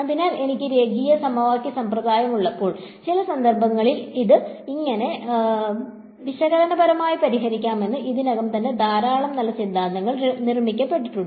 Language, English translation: Malayalam, So, when I have linear system of equations; it turns out there is a lot of good theory already built up for how to solve these analytically in some cases